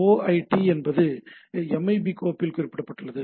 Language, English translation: Tamil, OID is a specified in a MIB file